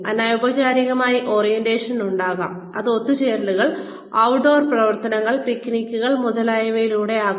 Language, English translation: Malayalam, There could be informal orientation, which could be through get togethers, outdoor activities, picnics, etcetera